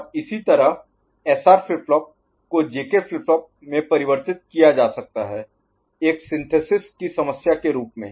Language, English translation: Hindi, And similarly, SR flip flop can be converted to JK flip flop again though a synthesis problem